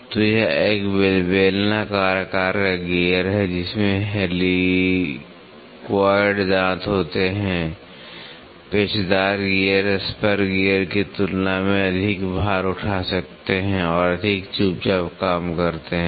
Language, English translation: Hindi, So, this is a cylindrical shaped gear with helicoid teeth, helical gears can bare more load than the spur gear and works more quietly